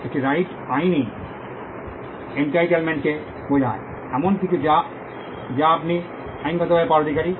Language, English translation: Bengali, A right refers to a legal entitlement, something which you are entitled to get legally